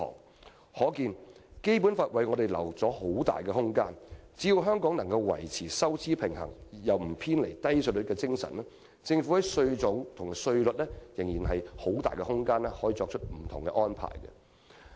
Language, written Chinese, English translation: Cantonese, "由此可見，《基本法》為我們預留了很大空間，只要香港維持收支平衡而沒有偏離低稅率的精神，政府在稅種和稅率方面仍有很大空間作出不同安排。, It is thus clear that the Basic Law has given us much room for manoeuvre and the Government can make all sorts of arrangements in respect of the types or rates of taxes so long as our expenditure is kept within the limits of revenues without deviating from the spirit of having relatively low tax rates